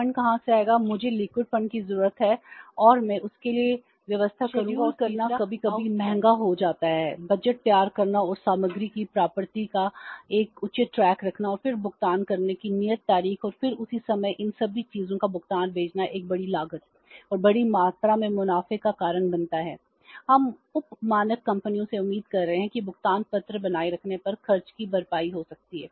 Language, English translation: Hindi, Scheduling sometimes becomes expensive preparing the budgets and keeping a proper track of the receipt of the material and then the due date of making the payments and then say sending the payments all these things sometime cause a huge cost and large amount of the profits which we are expecting from the substandard companies that may be say offset by spending on maintaining the say the payment ledgers